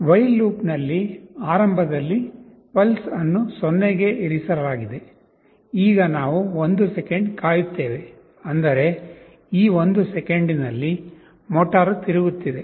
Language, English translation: Kannada, In the while loop, initially pulses is initialized to 0, now we wait for 1 second; that means, in this 1 second the motor is rotating